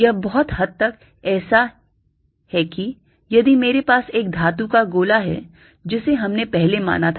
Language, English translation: Hindi, this is pity, much like if i have a metallic sphere we consider earlier